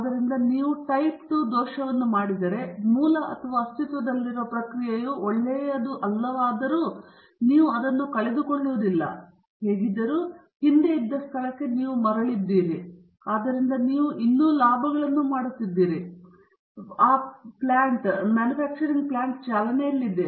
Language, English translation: Kannada, So, if you make a type II error, then even though the original or the existing process is not that good, you are not losing that much; anyway, you are back to where you are previously, and so you are still making profits, and the plant is running